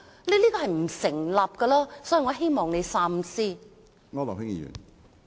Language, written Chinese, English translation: Cantonese, 這是不成立的，我希望你三思。, This does not hold water . I advise you to think twice